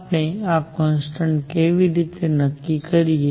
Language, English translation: Gujarati, How do we determine these constants